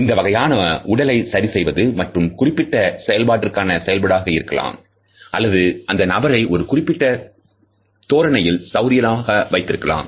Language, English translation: Tamil, These body adjustments perform either a specific function or they tend to make a person more comfortable in a particular position